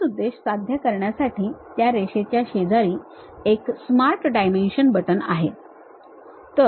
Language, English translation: Marathi, For that purpose what we do is just next to Line, there is a button Smart Dimension